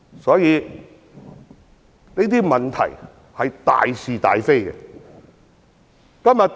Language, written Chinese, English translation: Cantonese, 所以，這是大是大非的問題。, That is why this is a cardinal question of right and wrong